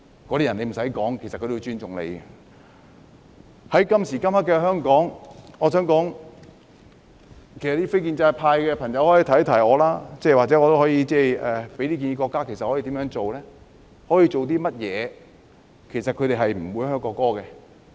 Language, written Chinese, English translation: Cantonese, 我想說，在今時今日的香港，非建制派的朋友可以給我一些建議，或許我也可以向國家提出一些建議，也就是應該如何做或可以做甚麼，才令他們不會"噓"國歌？, What I wish to say is nowadays in Hong Kong what should be or can be done to make people stop booing the national anthem? . Non - establishment Members can give me some ideas so that I can perhaps put forward some suggestions to the State